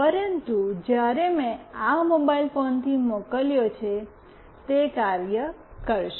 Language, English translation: Gujarati, But, when I sent from this mobile phone, it will work